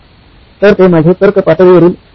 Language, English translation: Marathi, So that was my second level of reasoning